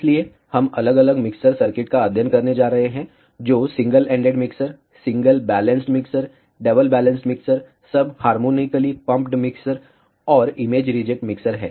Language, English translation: Hindi, So, we are going to study ah different mixer circuits, which are single ended mixtures, single balanced mixers, double balanced mixers, sub harmonically pumped mixers, and image reject mixers